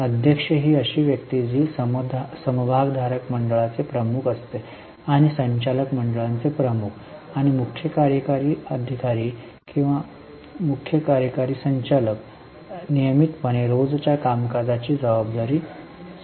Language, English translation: Marathi, Chairperson is the person who heads the shareholders body and also heads the board of directors and CEO or the chief executive director, chief executive officer is in charge of regular day to day activities